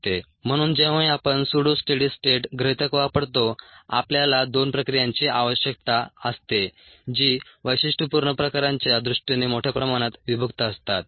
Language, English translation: Marathi, so whenever we use the pseudo study states assumption, we need two processes which are widely separated in terms of the characteristic types